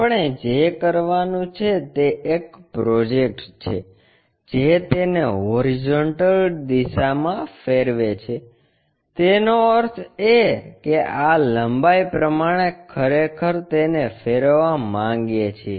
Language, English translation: Gujarati, What we want to do is project that one rotate it by horizontal direction; that means, this length we want to really rotate it